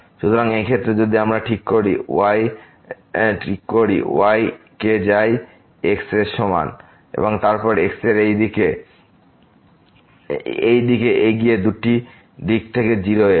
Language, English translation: Bengali, So, in this case if we fix is equal to 1 and then, approach to 0 from this two directions